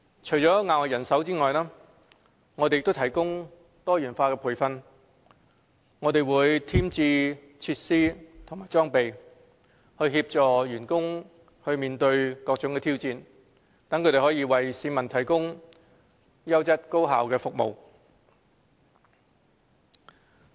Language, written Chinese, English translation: Cantonese, 除了額外人手，我們亦提供多元化培訓，添置設施和裝備，協助員工面對各種挑戰，為市民提供優質高效的服務。, Apart from additional manpower we will also provide diversified training as well as additional facilities and equipment to assist our staff in meeting various challenges and providing the public with quality and efficient services